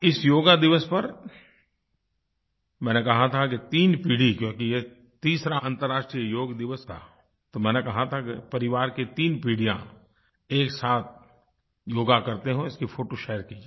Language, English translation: Hindi, On this Yoga Day, since this was the third International Day of Yoga, I had asked you to share photos of three generations of the family doing yoga together